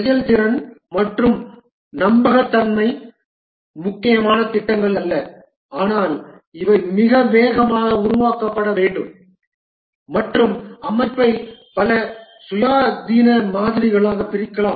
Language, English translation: Tamil, The projects for which the performance and reliability are not critical, but these are required to be developed very fast and the system can be split into several independent modules